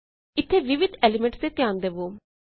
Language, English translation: Punjabi, Notice the various elements here